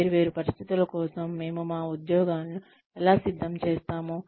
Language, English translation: Telugu, How do we ready our employees for different situations